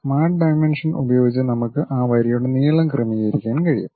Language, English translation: Malayalam, Using the Smart Dimensions we can adjust the length of that line